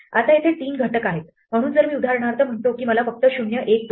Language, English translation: Marathi, Now here there are three elements so if I say for example I only want position 0, 1, 2